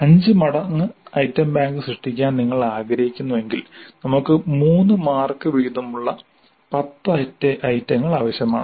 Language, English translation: Malayalam, So if you want to create an item bank which is five times that then we need 10 items of three marks each